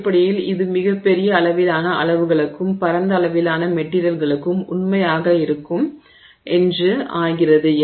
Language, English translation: Tamil, And it turns out that essentially this is true for a wide range of materials over a very large range of sizes